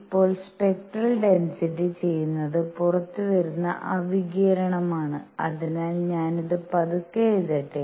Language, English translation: Malayalam, Now, what spectral density does is that radiation which is coming out; so, let me write this slowly